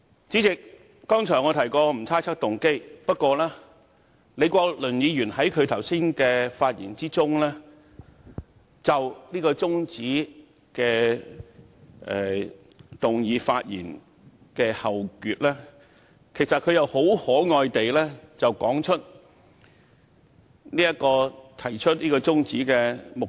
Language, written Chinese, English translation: Cantonese, 主席，我剛才提過不會猜測議員的動機，但李國麟議員剛才就中止待續議案發言時，於後段很可愛地指出這項中止待續議案的目的。, President as I said just now I will not impute motives to Members . But in the later part of his speech on the adjournment motion earlier Dr Joseph LEE sweetly pointed out the purpose of this motion on adjournment